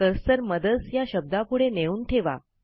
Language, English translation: Marathi, Place the cursor after the word MOTHERS